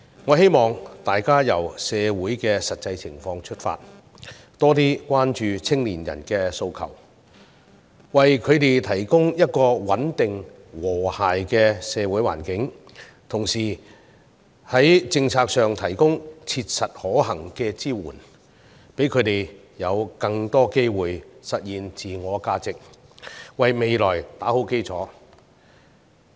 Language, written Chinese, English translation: Cantonese, 我希望大家由社會的實際情況出發，多些關注青年人的訴求，為他們提供一個穩定、和諧的社會環境，同時在政策上提供切實可行的支援，讓他們有更多機會實現自我價值，為未來打好基礎。, We should pay more attention to their aspirations while taking into account the actual circumstances in society and provide them with a stable and harmonized social environment . In terms of policy practical support should be given to increase their self - fulfilment opportunities so that they can lay a solid foundation for their future